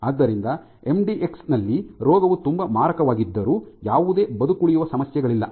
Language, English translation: Kannada, So, in mdx though the disease is very lethal there is no survival issues